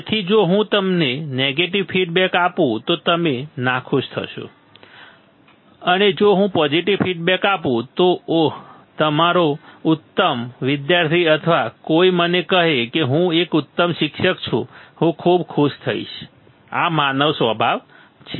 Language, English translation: Gujarati, So, if I give you a negative feedback you will be unhappy and if I give positive feedback, oh, your excellent student or somebody tells me, I am an excellent teacher, I am very happy, these are the human nature